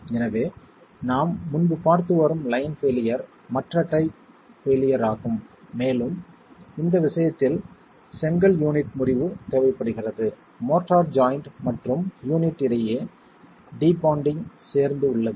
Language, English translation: Tamil, So, the line failure that we've been seeing earlier is the other other type of failure that can occur and the fracture of the brick unit is required in this case along with the debonding between the motor and the motor joint and the unit itself